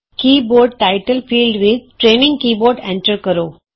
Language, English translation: Punjabi, In the Keyboard Title field, enter Training Keyboard